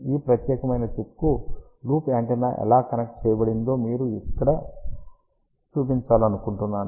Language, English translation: Telugu, I just want to show you here how loop antenna is connected to this particular chip over here